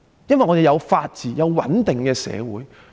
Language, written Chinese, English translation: Cantonese, 因為香港有法治及穩定的社會。, Just because of its rule of law and social stability